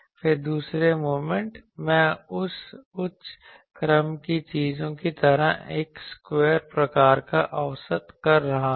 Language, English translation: Hindi, Then the second moment then I am having a square type of average like that higher order things